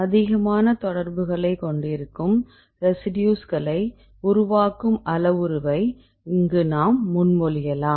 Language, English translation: Tamil, Now we propose one more parameter, this will constitute the residues which have more number of contacts